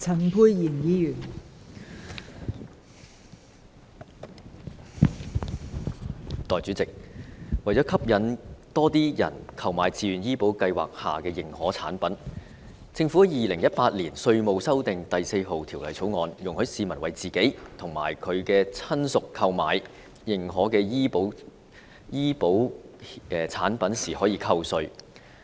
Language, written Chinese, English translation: Cantonese, 代理主席，為了吸引更多人購買自願醫保計劃下的認可產品，《2018年稅務條例草案》容許市民為自己和親屬購買認可的醫保產品時扣稅。, Deputy President in order to attract more applications for the Certified Plans under the Voluntary Health Insurance Scheme VHIS the Inland Revenue Amendment No . 4 Bill 2018 allows tax deduction for the purchase of certified health insurance products for both the applicants themselves and their relatives